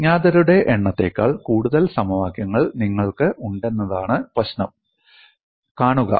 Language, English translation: Malayalam, See the problem is you have more number of equations than number of unknowns; that is also a problem